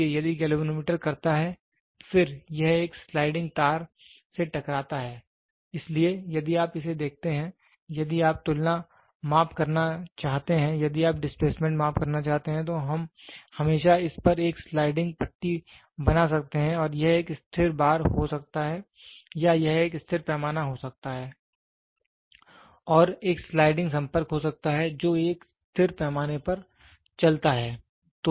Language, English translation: Hindi, So, if the galvanometer does and then it slides over a sliding wire, so, if you look at it, if you wanted to do comparison measurement, if you want to do displacement measurement, so we can always at this can be a sliding bar and this can be a stationary bar or it can be a stationary scale and there is a sliding contact which moves on a stationary scale